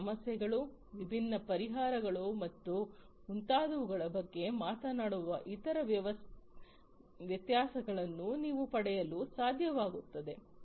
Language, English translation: Kannada, You will be able to get the different other differences talking about different issues, different solutions and so on